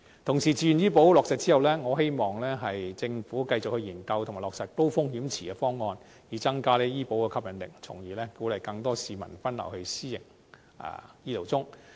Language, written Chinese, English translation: Cantonese, 同時，自願醫保計劃落實後，我希望政府能繼續研究及落實高風險池方案，以增加醫保計劃的吸引力，從而鼓勵更多市民分流到私營醫療中。, So what is the sense of not doing that? . Meanwhile after the implementation of the Voluntary Health Insurance Scheme I hope the Government can continue to study and implement the high - risk pool proposal to increase the appeal of the Scheme thereby inducing the diversion of more people to the private healthcare sector